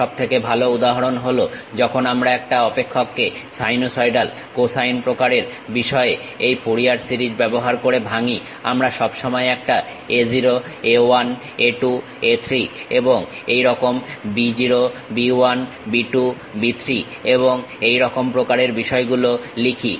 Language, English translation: Bengali, The best example is when we are decomposing a function in terms of sinusoidal cosine kind of thing by using Fourier series, we always write a0, a 1, a 2, a 3 and so on; b0, b 1, b 2, b 3 and so on so things